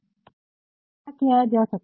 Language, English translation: Hindi, So, what can be done